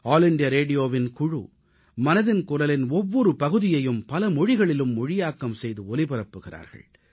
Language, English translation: Tamil, The team from All India Radio prepares each episode for broadcast in a number of regional languages